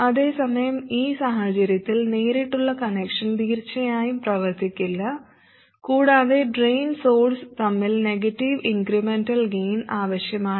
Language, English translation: Malayalam, Whereas in this case a direct connection will certainly not work and you do need a negative incremental gain between the drain and the source